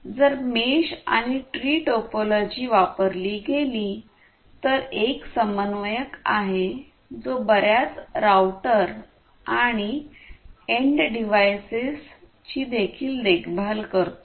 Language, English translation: Marathi, If the mesh and the tree topologies are used there is one coordinator that maintains several routers and end devices